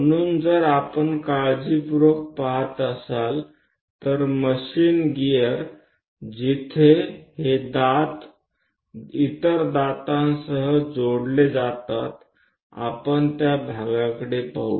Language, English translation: Marathi, So, if we are looking at carefully, the machine gear where these teeth will be joining with the other teeth let us look at that part